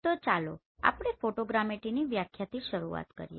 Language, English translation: Gujarati, So let us start with the definition of Photogrammetry